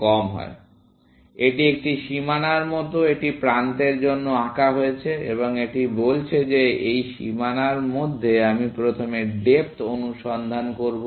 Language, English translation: Bengali, So, it is like a boundary it is drawn for edges, and it is saying that within this boundary, I will do the depth first search